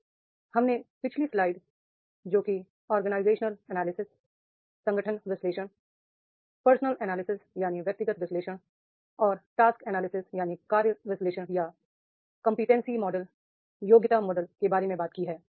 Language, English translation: Hindi, So, we have talked about in the previous slide organizational analysis, person analysis and the task analysis are the competency model